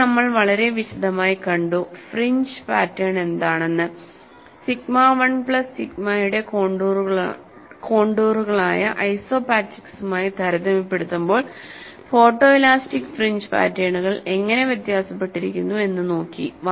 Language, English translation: Malayalam, Then, we saw at length, what are the kind of fringe patterns that you come across and how photo elastic fringes are, fringes are different in comparison to isopachs which on contours of sigma 1 plus sigma 2